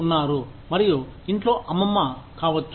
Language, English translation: Telugu, And, maybe a grandmother, at home